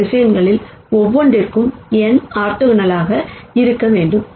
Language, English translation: Tamil, So, we know that these 2 vectors are orthogonal